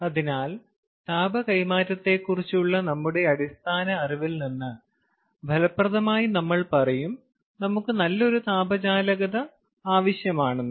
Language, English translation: Malayalam, ok, so effectively, in from our basic knowledge of heat transfer, we would say that you know, we need a good conductor of heat